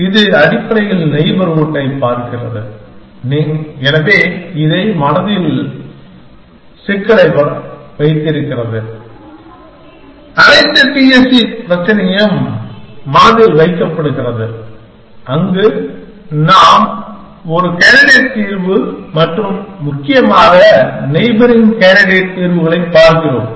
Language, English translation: Tamil, So, it basically looks at the neighborhood and so keeps this at problem in mind, all the T S C problem in mind, where we are looking at a candidate solution and the neighboring candidates solutions essentially